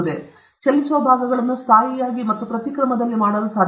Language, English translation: Kannada, Can we make moving parts stationary and vice versa